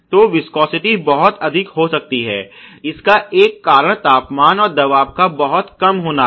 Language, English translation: Hindi, So, viscosity too high may be one of the reasons temperature too low is another and then pressure to low is another